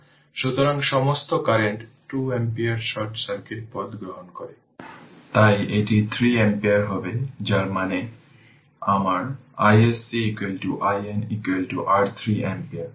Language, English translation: Bengali, So, all the current this 2 ampere take the short circuit path, so it will be 3 ampere that means my I SC is equal to I Norton is equal to your 3 ampere right